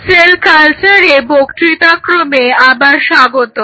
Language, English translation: Bengali, Welcome back to the lecture series in Cell Culture